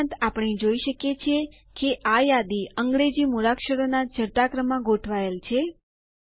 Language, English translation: Gujarati, Also, we see that, this list is arranged alphabetically in ascending order